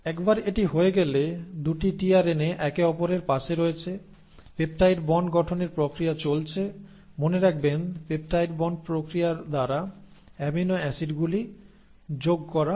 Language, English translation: Bengali, Once this has happened, now the 2 tRNAs are next to each other you will have the process of formation of peptide bonds; remember to amino acids are joined by the process of peptide bonds